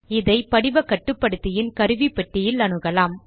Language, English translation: Tamil, This can be accessed in the Form Controls toolbar